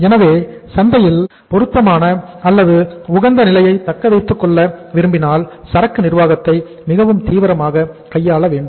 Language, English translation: Tamil, So it means if we want to maintain a appropriate or the optimum position in the market we should take the inventory management very seriously